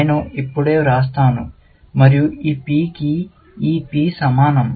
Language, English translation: Telugu, I will just write, and this P is the same as this P